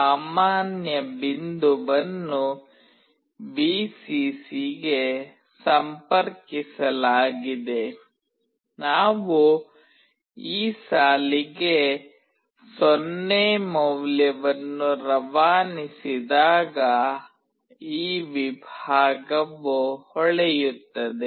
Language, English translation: Kannada, The common point is connected to Vcc, this segment will glow when we pass a 0 value to this line